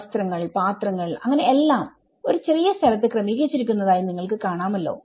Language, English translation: Malayalam, You can see that the clothes, their utensils you know and this everything has been managed within that small space